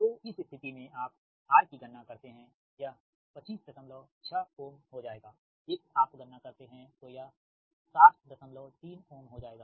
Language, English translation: Hindi, so in this case you calculate r, it will become twenty five point six ohm x, you calculate it will become sixty point three ohm